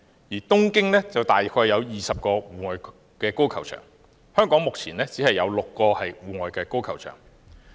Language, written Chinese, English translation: Cantonese, 另外，東京約有20個戶外高爾夫球場，而香港目前只有6個戶外高爾夫球場。, Also there are approximately 20 outdoor golf courses in Tokyo while Hong Kong has only six